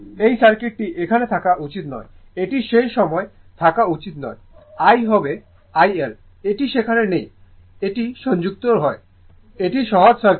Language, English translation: Bengali, This circuit this should not be there it is not there at that time I should be is equal to IL , this is not there this is not connected it is simple circuit right it is simple circuit